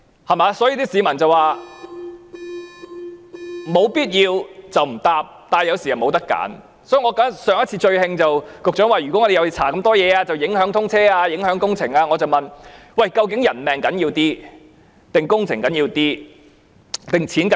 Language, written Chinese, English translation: Cantonese, 所以，上一次令我最生氣的是，局長說如果我們要調查這麼多事情便會影響通車、影響工程，我問局長，究竟人命較重要或工程較重要？, Therefore it was most infuriating that the Secretary said on a previous occasion that if we would investigate into so many incidents the commissioning of SCL and the construction works would be affected . Then I asked the Secretary Which is more important human lives or construction works?